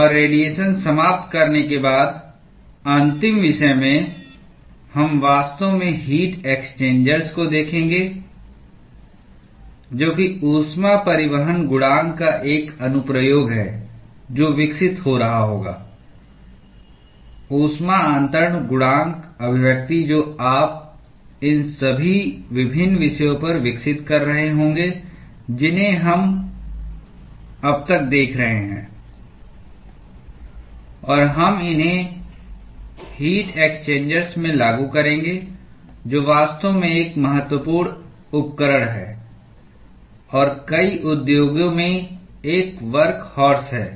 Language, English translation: Hindi, And after we finish radiation, in the last topic, we will actually look at heat exchangers, which is an application of the heat transport coefficient that would be developing heat transfer coefficient expressions that you would be developing over all of these various topics that we have seen so far, and we will apply these in heat exchangers, which is actually a crucial equipment and a workhorse in many industries